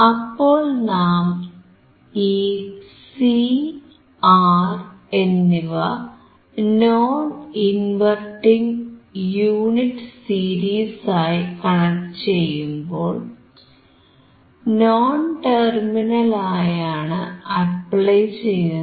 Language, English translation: Malayalam, So, when we connect this C, the R in series with the non inverting unit again, because you see non inverting we are applying to non terminal